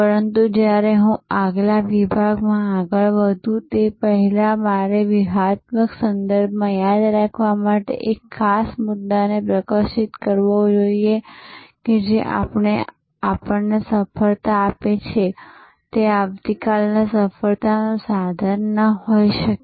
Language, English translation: Gujarati, But, when before I progress to the next section, I must highlight one particular point to remember in the strategic context, that what gives us success today, may not be the tool for success tomorrow